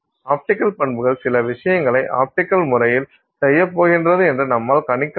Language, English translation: Tamil, So, the optical property you can make a prediction that you know it is going to do certain things optically